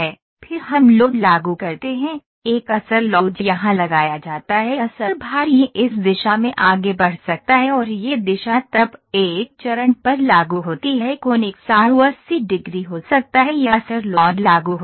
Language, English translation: Hindi, Then we apply load, a bearing load is applied here bearing load is this can be move in this direction and this direction then it is applied on one phase angle can be 180 degree this bearing load is applied